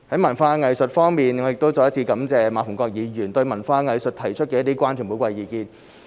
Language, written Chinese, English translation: Cantonese, 文化藝術我再一次感謝馬逢國議員對文化藝術提出的關注和寶貴意見。, Culture and arts I would like to thank Mr MA Fung - kwok again for raising his concerns and valuable views about culture and arts